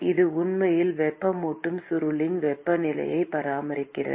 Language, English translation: Tamil, It is actually the temperature of the heating coil that it maintains